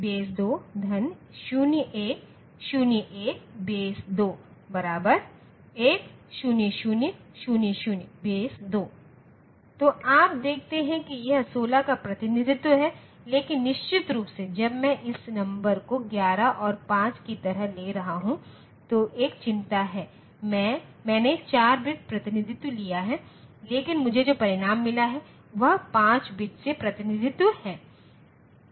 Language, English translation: Hindi, So, you see that this is the representation of 16, but of course, there is a concern like when I am taking this the number like 11 and 5, I have taken 4 bit representation, but the result that I have got is a 5 bit representation